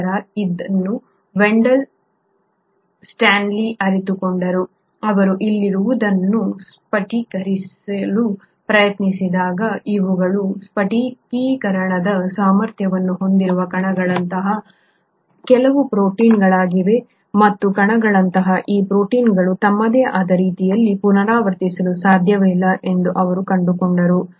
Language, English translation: Kannada, Later it was realised by Wendall Stanley, when he tried to crystallise what was here, he found that these are some protein like particles which are capable of crystallisation and these protein like particles, on their own, cannot replicate